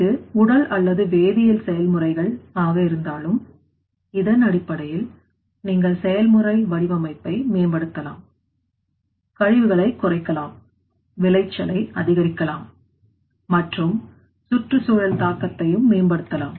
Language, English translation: Tamil, Whether it is physical or chemical processes or not, so based on this you can improve that you know process design and based on which you can apply that things, you can get the reduce waste even increased yield and also improve environmental impact there